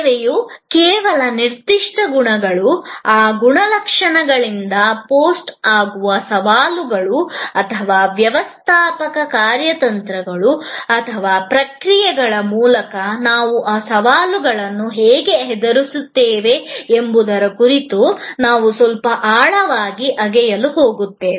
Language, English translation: Kannada, We are going to dig a little deeper into certain particular characteristics of service, the challenges that are post by those characteristics and how, we meet those challenges through the managerial strategies and processes